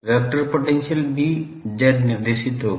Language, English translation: Hindi, The vector potential a will also be z directed